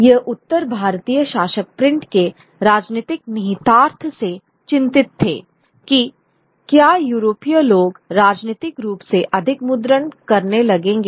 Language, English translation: Hindi, These North Indian rulers vary of the political implications of print, whether they will be overrun by the Europeans politically